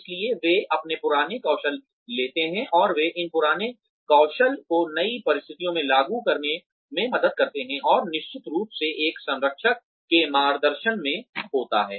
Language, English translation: Hindi, So, they take their old skills and they help them apply these old skills to new situations, and under of course the guidance of a mentor